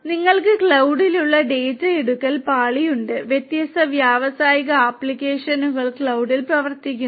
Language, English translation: Malayalam, And then you have the data acquisition layer which is at the cloud and different and industrial applications are running on the cloud right